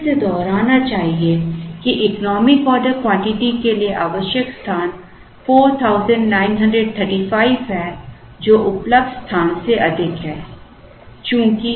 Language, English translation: Hindi, Let me again repeat that for the economic order quantity the space required is 4935, which is higher than the available space